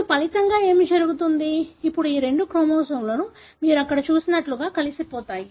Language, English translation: Telugu, Now, what happens as a result, now these two chromosomes join together like what you see here